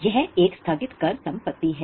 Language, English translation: Hindi, Then it is called as a deferred tax asset